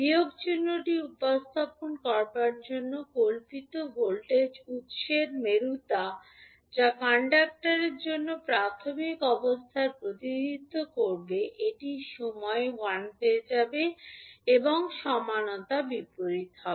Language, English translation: Bengali, The, to represent the minus sign the polarity of fictitious voltage source that is that will represent the initial condition for inductor will become l at time t is equal to 0 and the polarity will be opposite